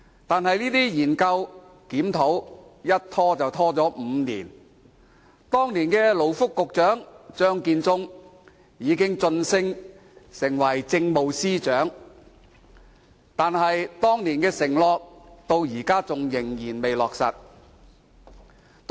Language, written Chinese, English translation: Cantonese, 可是，這些研究及檢討卻拖延了5年，時任勞工及福利局局長張建宗也已晉升為政務司司長，但當年的承諾至今仍未兌現。, That said the study and review have been delayed for five years . While Mr Matthew CHEUNG the then Secretary for Labour and Welfare has been promoted to be the Chief Secretary for Administration the promise made back then has not yet been honoured